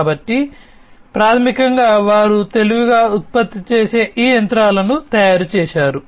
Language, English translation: Telugu, So, basically they have made these machines that they produce smarter